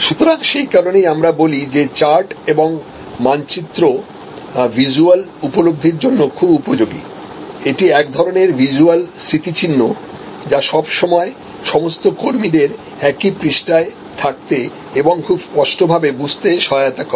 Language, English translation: Bengali, So, that is why we say charts and map can facilitate visual awakening, so it is kind of a visual reminder it is all the time it helps all the employees to be on the same page at to understand very clearly